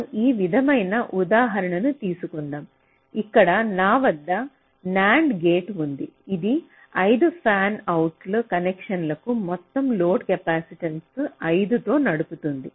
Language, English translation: Telugu, so we take an example like this, where i have a nand gate which is driving five fanout connections with a total load capacitance of five